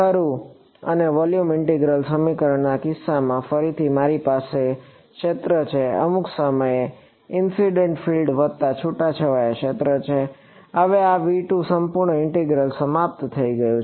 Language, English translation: Gujarati, Right and in the case of the volume integral equation again I have the field at some point is incident field plus scattered field, now this integral is over V 2